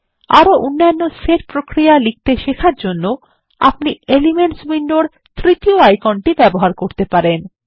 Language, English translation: Bengali, You can learn to write more set operations, by exploring the Elements window by clicking on the third icon there